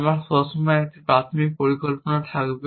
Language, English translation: Bengali, This will always be our initial plan